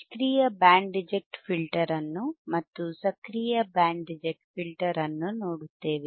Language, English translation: Kannada, You will again see a Passive Band Reject Filter and we will see an Active Band Reject Filter all right